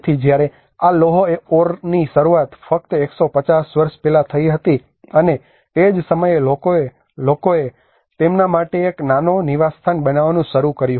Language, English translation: Gujarati, So when this iron ore have started just 150 years before and that is where people started developing a small habitat for them